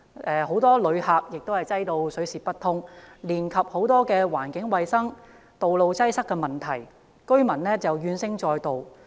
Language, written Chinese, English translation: Cantonese, 大量旅客把該處擠得水泄不通，連帶產生很多環境衞生、道路擠塞等問題，令居民怨聲載道。, The area was really crowded with a lot of environmental hygiene road congestion and other problems causing widespread discontent among residents